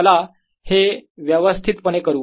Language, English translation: Marathi, so let's do that properly